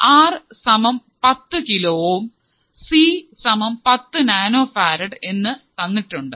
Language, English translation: Malayalam, Now, R equal to 10 kilo ohms is given; C equals to 10 nanofarad again given